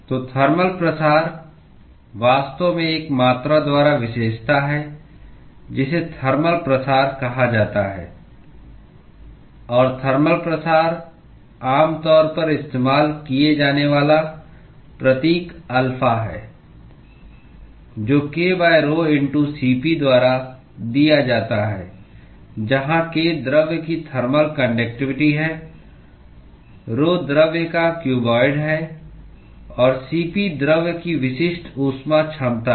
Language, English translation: Hindi, So, the thermal diffusion is actually characterized by a quantity called thermal diffusivity; and thermal diffuse the symbol that is typically used is alpha; which is given by k by rho*Cp, where k is the conduct thermal conductivity of the material, rho is the density of the material and Cp is the specific heat capacity of the material